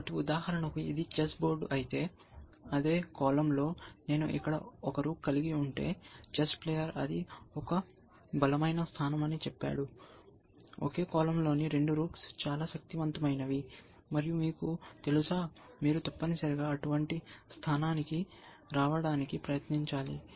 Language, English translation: Telugu, So, if this is the chess board for example, then if I have a rook here, and if I have a another rook here, in the same column, then chess player say that, it stronger position, two rooks in the same column are very powerful, and you know, you should try to arrive at such a position essentially